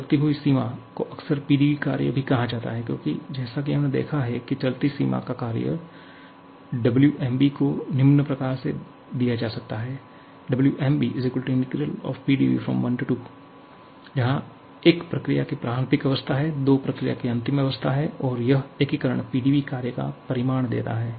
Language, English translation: Hindi, Because as we have seen the amount of moving boundary work Wb can be given as integral PdV, integral over 1 to 2 where 1 is the initial state of the process, 2 is the final state of the process and this integration PdV is going to give you the magnitude of this work